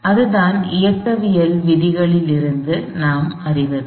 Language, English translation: Tamil, So, that is kind of, that is what we found from the laws of Mechanics